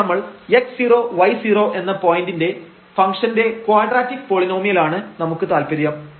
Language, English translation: Malayalam, So, here we are interested in a quadratic polynomial of this function and about this point x 0 y 0